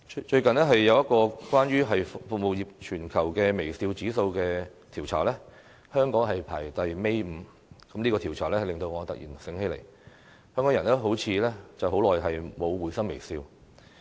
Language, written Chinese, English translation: Cantonese, 最近一項有關服務業的全球微笑指數調查，香港排名倒數第五，這個調查使我突然想起，香港人好像已經很久沒有會心微笑。, In a recent global survey relating to smiling index in service industries Hong Kong was ranked fifth from the last place . The survey has made me suddenly realize that Hong Kong people have not smiled happily for a long time